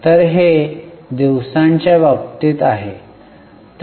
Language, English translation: Marathi, So, this is in terms of days